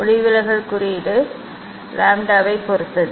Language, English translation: Tamil, refractive index depends on the lambda